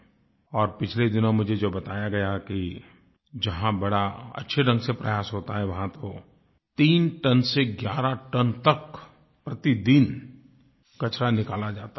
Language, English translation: Hindi, I have been told a few days ago that in places where this work is being carried out properly nearly 3 to 11 tonnes of garbage are being taken out of the river every day